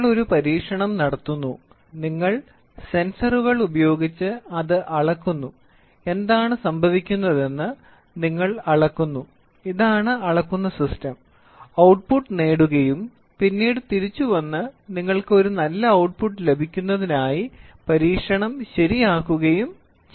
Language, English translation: Malayalam, You have an experiment going on, you measure the using sensors you measure what is going on, these are measuring systems, get the output and then come back and correct the experiment such that you get a good output